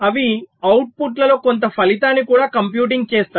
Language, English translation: Telugu, they will also be computing some result in the outputs